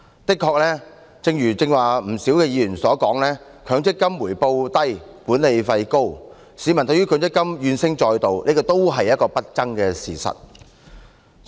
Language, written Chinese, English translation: Cantonese, 誠然，正如剛才不少議員所說，強制性公積金計劃回報低、管理費高，市民對於強積金怨聲載道，這亦是不爭的事實。, This is also an indisputable fact . Of course just as many Members mentioned earlier the Mandatory Provident Fund MPF schemes charge high management fees but yield low returns thus causing many complaints from the public . This is an indisputable fact too